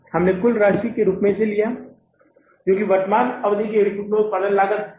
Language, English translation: Hindi, We have taken this as the total amount that cost of production of the current period production is 21 lakh and 55,000 right